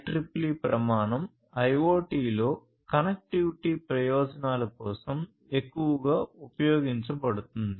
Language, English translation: Telugu, 4 IEEE standard, which is used heavily for connectivity purposes in IoT